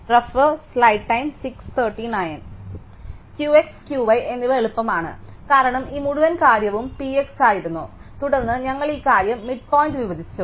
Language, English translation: Malayalam, Q x and Q y is easy, because this whole thing earlier was P x and then we split this thing midpoint